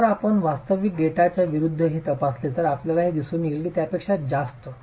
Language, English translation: Marathi, Again if you were to examine this against real data you will see that this overestimates